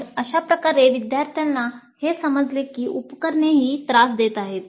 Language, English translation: Marathi, So that's how the student would come to know that the equipment was the one which was giving the trouble